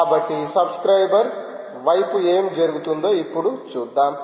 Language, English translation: Telugu, so lets now see what actually happens at the subscribers side